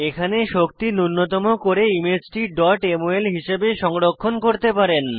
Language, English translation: Bengali, You can do energy minimization and save the image as dot mol file